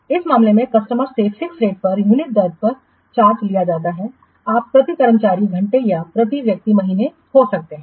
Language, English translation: Hindi, So, in this case, the customer is charged at a fixed rate for unit effort, may be per staff hour or for person month